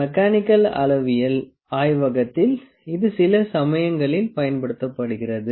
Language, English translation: Tamil, And in mechanical metrological lab it is also used sometimes